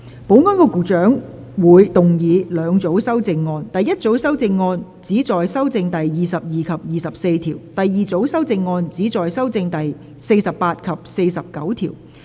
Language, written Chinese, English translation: Cantonese, 保安局局長會動議兩組修正案：第一組修正案旨在修正第22及24條；第二組修正案旨在修正第48及49條。, Secretary for Security will move two groups of amendments the first group of amendments seek to amend clauses 22 and 24; the second group of amendments seek to amend clauses 48 and 49